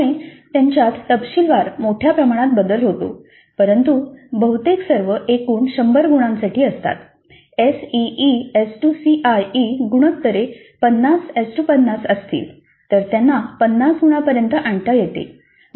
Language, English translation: Marathi, So they vary very widely in details but however nearly all of them are for 100 marks in total though later they may be scaled to 50 if the SECE ratios are 50 50 then these 100 marks could be scaled to 50 if they are in the ratio of 20 80 C C